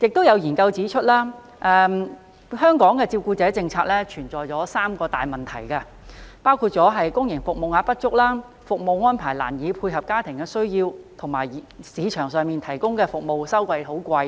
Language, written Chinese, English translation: Cantonese, 有研究指出，香港的照顧者政策有三大問題，包括公營服務名額不足、服務安排難以配合家庭需要，以及市場上提供的服務收費高昂。, Some studies suggest that there are three major problems with the carer policy in Hong Kong including insufficient places of public care services difficulties in arranging services to meet family needs and exorbitant fees charged by service providers in the market